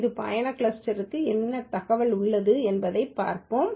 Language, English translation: Tamil, Let us see what information this this trip cluster has